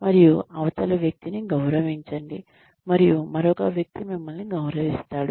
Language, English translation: Telugu, And, respect the other person, and the other person, will respect you